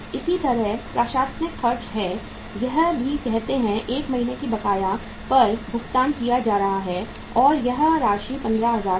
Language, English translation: Hindi, Similarly, administrative expenses are also being paid at the arrear of say uh 1 month and the amount was 15,000